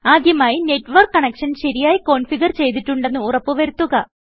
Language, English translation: Malayalam, First, make sure that your network connection is configured correctly